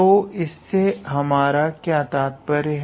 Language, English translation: Hindi, So, what do we mean by this